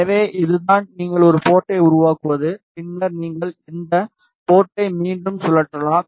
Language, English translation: Tamil, So, this is how you create a port and then you can rotate this port again